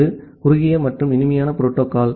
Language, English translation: Tamil, And it is the kind of short and sweet protocol